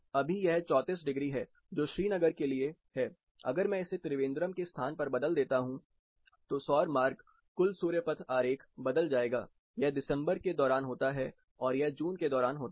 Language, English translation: Hindi, Now, it is 34 degrees that is for Srinagar if I change it to Trivandrum’s location, the solar path that is the total sun path diagram varies, this is during December and this is during June